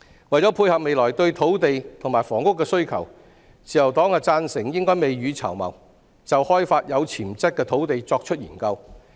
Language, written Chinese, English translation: Cantonese, 為了配合未來對土地和房屋的需求，自由黨贊成應該未雨綢繆，就開發有潛質的土地作研究。, In order to cope with the future demand for land and housing the Liberal Party agrees that we should prepare for the rainy days by conducting studies on the exploration of potential land sites